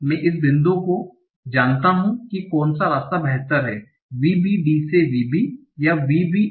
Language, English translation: Hindi, I know at this point which path is better, VBD, T O VB or VBN T O VB